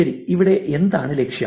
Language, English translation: Malayalam, Well what is the goal here